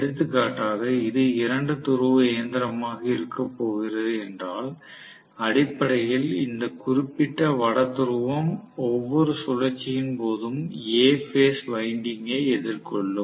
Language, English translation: Tamil, So, for example, if it is going to be a two pole machine, I am going to have basically this particular North Pole facing the phase winding A every revolution, during every revolution